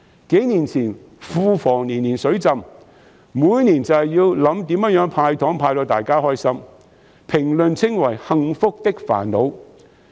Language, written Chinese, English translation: Cantonese, 數年前，庫房年年"水浸"，每年都要研究如何"派糖"才能令大家開心，被評為"幸福的煩惱"。, Few years ago the Treasury was flooded every year and we always had to consider how to hand out candies to make everyone happy . It was described as a happy problem